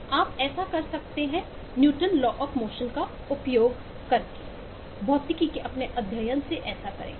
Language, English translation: Hindi, you can do that from your study of physics by using newtons law of motion